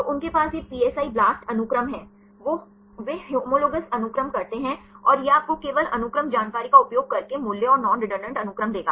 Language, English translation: Hindi, So, they have these PSI BLAST sequences, they do the homologues sequences and this will give you the values and the non redundant sequences using only the sequence information